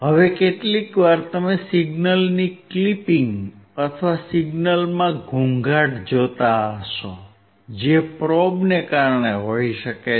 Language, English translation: Gujarati, Now, sometimes you will be looking at the clipping of the signal or the noise in the signal that may be due to the probe